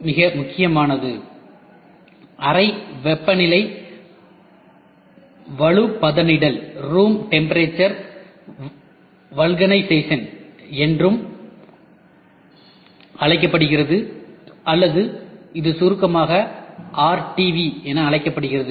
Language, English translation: Tamil, The most prominent one is also called as Room Temperature Vulcanization or it is otherwise called as RTV in short